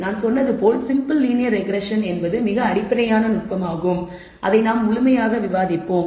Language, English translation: Tamil, As I said the simple linear regression is the very very basic technique, which we will discuss thoroughly